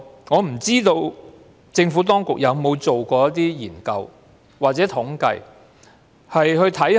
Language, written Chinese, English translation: Cantonese, 我不知道政府當局有否做過研究或統計。, I do not know if the Administration has conducted any research or compiled any statistic on this